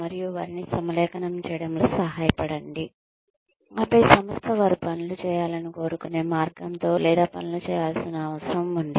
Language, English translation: Telugu, And, help them align, their ways of doing things, with the way, the organization wants them to do things, or needs them to do things